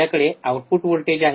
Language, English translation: Marathi, So, what is input voltage